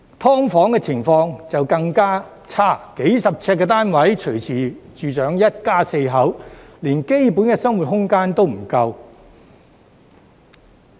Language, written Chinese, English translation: Cantonese, "劏房"情況便更差，數十平方呎的單位隨時住上一家四口，連基本的生活空間也不夠。, The situation is even worse in subdivided units as it is not rare for a family of four to live in a unit of a few dozen square feet and even the basic living space is not enough